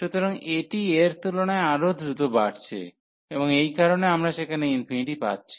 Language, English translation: Bengali, So, this is taking its growing much faster than this one and that is the reason we are getting infinity there